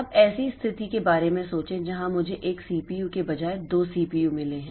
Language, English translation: Hindi, Now, think of a situation where I have got two CPUs instead of one CPU so there I have got two CPUs